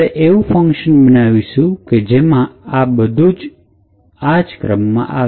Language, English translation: Gujarati, We build a function that executes all of these instructions in this particular sequence